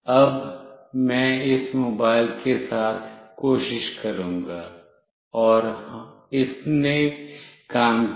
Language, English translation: Hindi, Now, I will try with this mobile, and it worked